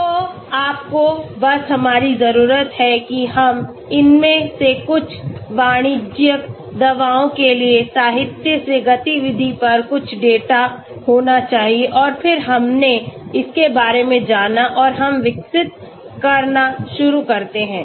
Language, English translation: Hindi, So all you we need is we need to have some data on the activity from literature for some of these commercial drugs and then we go about and we start developing